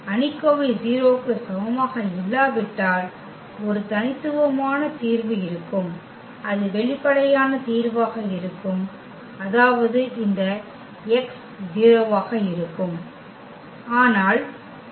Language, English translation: Tamil, If the determinant is not equal to 0 then there will be a unique solution and that will be the trivial solution meaning this x will be 0